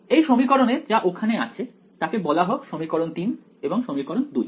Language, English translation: Bengali, Now this equation over here let us call as equation 3 and equation 2 right